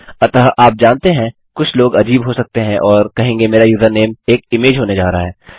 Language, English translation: Hindi, So you know some people can be funny and say my username is going to be an image